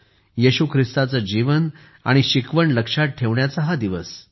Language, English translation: Marathi, It is a day to remember the life and teachings of Jesus Christ